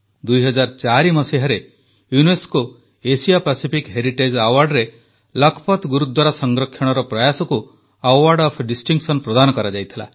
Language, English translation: Odia, The restoration efforts of Lakhpat Gurudwara were honored with the Award of Distinction by the UNESCO Asia Pacific Heritage Award in 2004